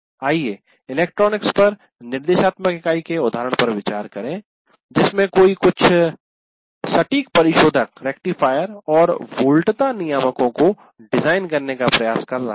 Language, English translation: Hindi, Let's say electronics one you are trying to look at designing some precision rectifiers and voltage regulators